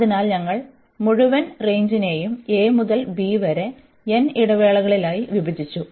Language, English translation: Malayalam, So, we have divided the whole range a to b into n intervals